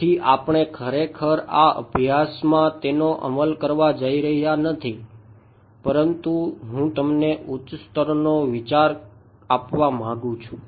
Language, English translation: Gujarati, So, we are not actually going to implement this in this course, but I just want to give you the high level idea